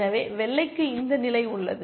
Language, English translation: Tamil, So, white has this position